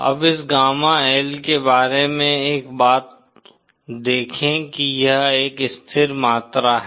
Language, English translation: Hindi, No see one thing about this gamma L is that this is a constant quantity